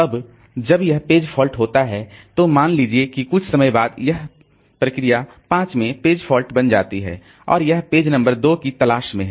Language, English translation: Hindi, Now when this when this page fault occurs, suppose after some time this process 5 creates a page fault and it is looking for page number 2